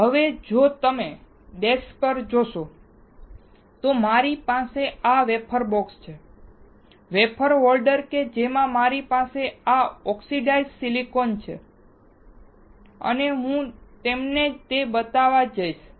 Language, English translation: Gujarati, Now, if you see on the desk, I have this wafer box; wafer holder in which I have this oxidized silicon and I am going to show it to you